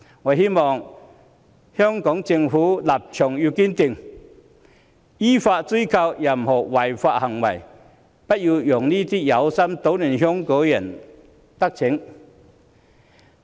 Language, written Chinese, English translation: Cantonese, 我希望香港政府立場堅定，依法追究違法行為，不要讓這些有心搗亂香港的人得逞。, I hope that the Hong Kong Government will stand firm and affix responsibilities for illegal activities according to law . Those who want to create chaos in Hong Kong should not have their way